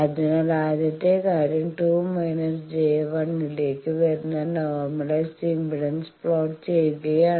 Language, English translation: Malayalam, So, the first thing is plot the normalized impedance that comes to 2 minus j 1